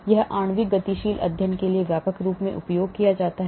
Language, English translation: Hindi, it is widely used for molecular dynamic studies